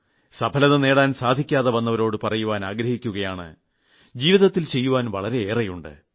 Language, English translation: Malayalam, And those who were not able to succeed, I would like to tell them once again that there is a lot to do in life